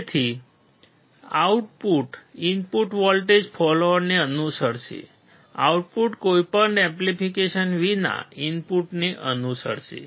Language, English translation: Gujarati, So, output will follow the input voltage follower, output will follow the input without any amplification